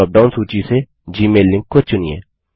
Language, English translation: Hindi, Choose the gmail link from the drop down list